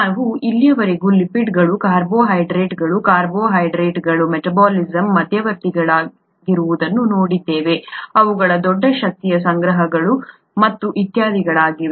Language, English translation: Kannada, We have so far seen lipids, carbohydrates, carbohydrates as you know are intermediates in metabolism, they are a large energy stores and so on so forth